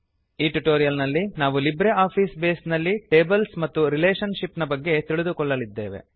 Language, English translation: Kannada, In this tutorial, we will cover Tables and Relationships in LibreOffice Base